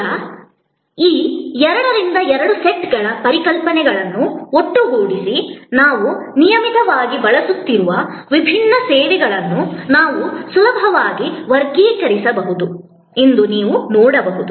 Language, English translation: Kannada, Now, combining these 2 by 2 sets of concepts, you can see that we can easily classify different services that we are regularly using